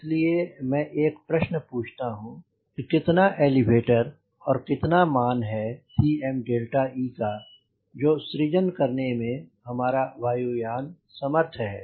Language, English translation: Hindi, so i am asking a question: how much elevator and how much c m delta e value the aircraft should be able to generate